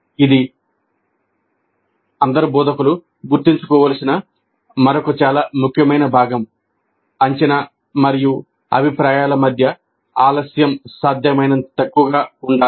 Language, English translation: Telugu, This is another very important component that all instructors must remember that the delay between the assessment and feedback must be as small as possible